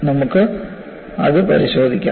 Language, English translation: Malayalam, We will have a look at it